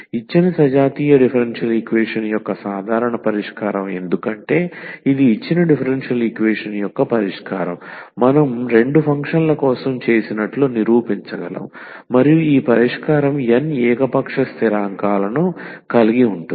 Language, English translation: Telugu, The general solution of the given homogeneous differential equation because this is a solution of the given differential equation that we can prove like we have done for two functions and this solution has n arbitrary constants